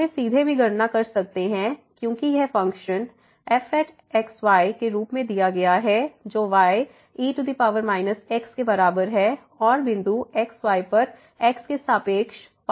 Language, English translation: Hindi, We can also compute this directly because this function is given as is equal to power minus and the partial derivative with respect to at the point